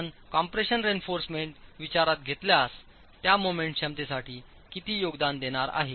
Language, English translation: Marathi, If you were to consider the compression reinforcement, how much is that going to contribute to the moment capacity